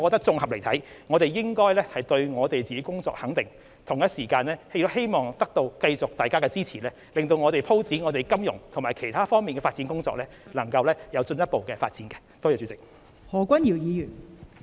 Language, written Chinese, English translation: Cantonese, 綜合而言，我們應該對自己的工作給予肯定，同時亦希望繼續得到大家支持，使我們在發展金融及其他方面的工作上能夠取得進一步的成果。, All in all we should give due recognition to our efforts and at the same time enlist the continuous support of Members so as to achieve further progress in financial and other developments